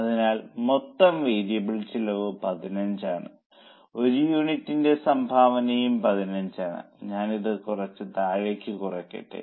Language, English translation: Malayalam, So, total variable cost is 15 and contribution per unit is also 15